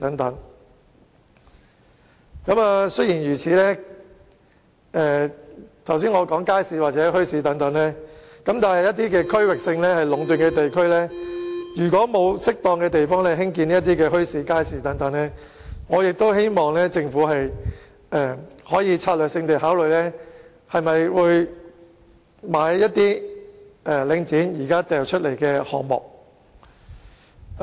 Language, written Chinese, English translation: Cantonese, 儘管我剛才提到設立街市或墟市，但如果一些出現區域性壟斷的地區沒有適當的地方興建這些設施，我希望政府可以考慮策略性地購買領展現時發售的一些項目。, Although I mentioned the setting up of markets or bazaars just now if there is a lack of space for the construction of these facilities in some districts which are subject to regional monopolization I hope the Government can consider strategic buyouts of some projects currently put on sale by Link REIT